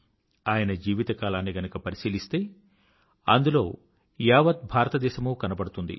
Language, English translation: Telugu, A glimpse of his life span reflects a glimpse of the entire India